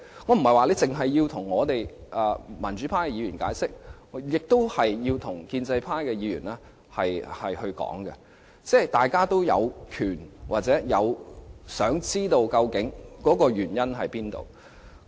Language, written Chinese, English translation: Cantonese, 我不是要政府只向民主派議員解釋，政府也應向建制派議員解說，因為大家都有權知道箇中原因。, I am not asking the Government to explain to the democratic Members alone . It should also explain to the pro - establishment Members because everyone has the right to know the rationale behind